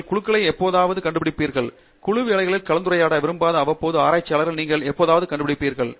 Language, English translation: Tamil, You will invariably find groups and you will invariably find the occasional researcher who does not like to participate in Teamwork